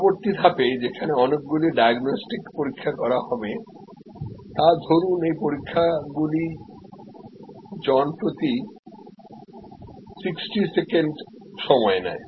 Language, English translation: Bengali, In the next step where lot of diagnostic tests will be done say that those tests takes 60 seconds per person